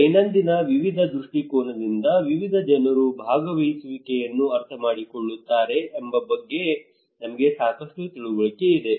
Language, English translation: Kannada, We have a lot of understanding of that various people understood participations from daily various perspective